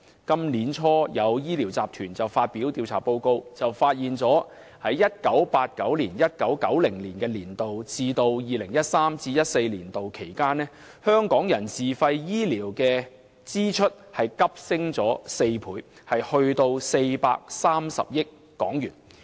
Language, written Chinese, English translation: Cantonese, 今年年初有醫療集團發表調查報告，指出由 1989-1990 年度至 2013-2014 年度期間，香港人自費醫療的支出急升4倍至大約430億港元。, It is pointed out in a survey report published by a medical group early this year that Hong Kong peoples actual out - of - pocket expenditure on health care had more than quadrupled to over 43 billion between 1989 - 1990 and 2013 - 2014